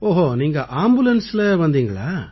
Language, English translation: Tamil, You came in an ambulance